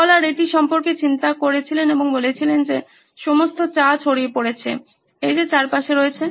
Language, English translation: Bengali, The scholar thought about it and said well the all the tea spilled out, it is all around